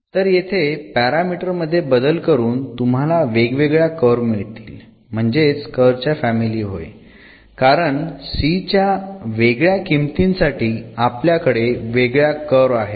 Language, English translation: Marathi, So, changing these parameters you will get different different curves here, that is what it is a family of the curves because different values of this c’s we have a different curve